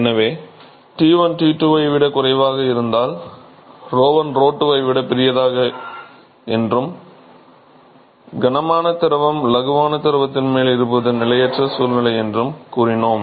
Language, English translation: Tamil, So, supposing if T1 is less than T2, we said that rho1 is greater than rho2 and therefore, the heavier fluid is sitting on top of the lighter fluid which is an unstable situation